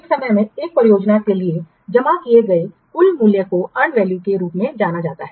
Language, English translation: Hindi, The total value credited to a project at a point of time is known as the and value